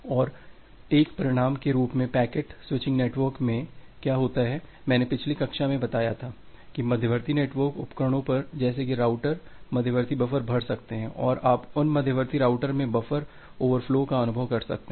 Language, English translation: Hindi, And as a result what happens in a packet switching network that I described in the last class, that the intermediate buffers, at the intermediate network devices that at the routers, they may get filled up and you may experience a buffer over flow from those intermediate routers